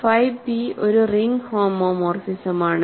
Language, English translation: Malayalam, So, phi p is a ring homomorphism, right